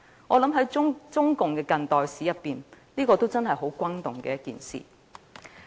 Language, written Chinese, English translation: Cantonese, 我想在中共的近代史中，這確實是一件相當轟動的事件。, I think this is really a monumental incident in the modern history of the Communist Party of China